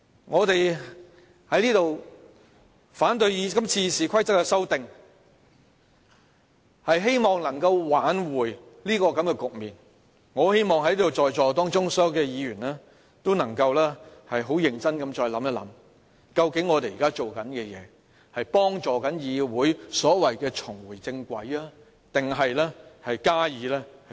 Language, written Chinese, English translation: Cantonese, 我們在此反對今次修訂《議事規則》是希望能夠挽回這種局面，我很希望在座所有議員也能再認真思考，究竟我們現在做的事是正在幫助議會所謂的重回正軌，還是進一步加以摧毀？, We oppose the proposed amendments to the Rules of Procedure this time around because we want to reverse the situation . I really hope all the Members present in this Chamber now can seriously consider the effect of what we are doing right now whether it can really help the legislature get back to the right track as claimed and whether it will in fact damage the legislature further